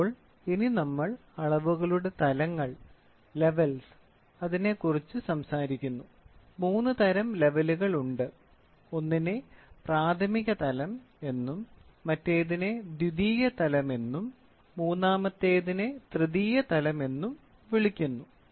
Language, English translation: Malayalam, Then we talk about levels of measurements; there are three types of levels; one is called as a primary level, the other one is called as a secondary level and the third one is called as a tertiary level